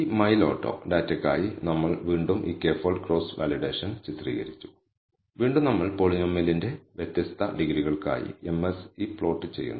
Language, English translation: Malayalam, Again we have illustrated this k fold cross validation for this mile auto data, again we plot the MSE for different degrees of the polynomial